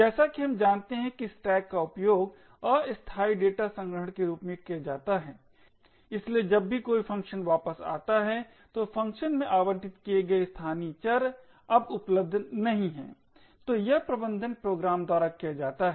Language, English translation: Hindi, As we know stacks are used as temporary data storage, so whenever a function returns then the local variables which was allocated in the function is no more available